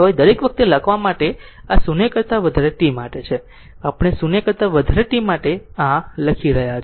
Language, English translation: Gujarati, This is for t grea[ter] every time you have to write we are writing this for t greater than 0 right